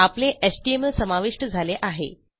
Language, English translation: Marathi, Our html has been incorporated